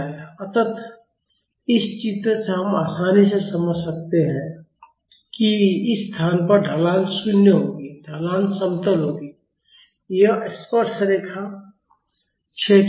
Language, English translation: Hindi, So, from this figure we can easily understand that at this location the slope will be 0 slope will be, it will be flat this tangent will be horizontal